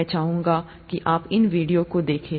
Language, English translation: Hindi, I would like you to look through these videos